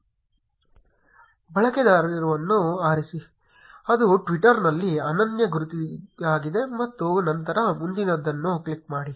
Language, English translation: Kannada, Choose a username, which will be a unique identity on twitter and then click next